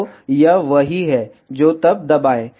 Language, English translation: Hindi, So, this is what it is then press ok